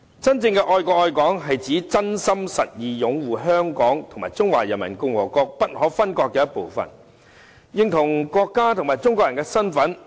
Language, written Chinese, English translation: Cantonese, 真正的愛國愛港是指真心實意擁護香港是中華人民共和國不可分割的一部分，認同國家及中國人的身份。, Anyone truly loving the country and Hong Kong will genuinely support Hong Kong as an inalienable part of the Peoples Republic of China identify the country and identify himself as a Chinese